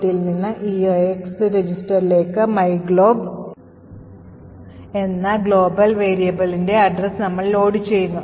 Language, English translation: Malayalam, So now EAX register has the correct address of myglob, the global address